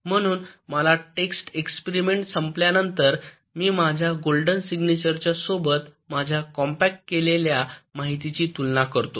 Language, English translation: Marathi, so after my test experiment is done, i compare my compacted information against my golden signature